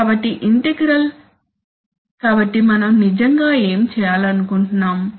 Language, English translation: Telugu, So the integral, so we want to actually what okay